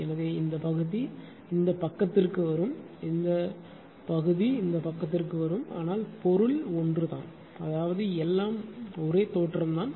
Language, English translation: Tamil, So, this portion will come to the this side this portion will come to this side, but meaning is same I mean everything is same just look